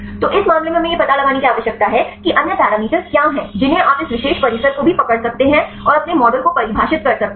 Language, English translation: Hindi, So, in this case we need to find what are the other parameters, which you can also capture this particular compound and define your model